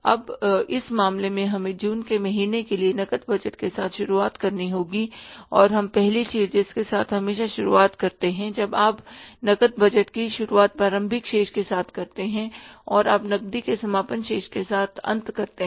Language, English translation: Hindi, Now in this case we'll have to start with the cash budget for the month of June and we are going to start with the first thing is always when you start preparing the cash budget you start with the opening balance and you end up with the closing balance of the cash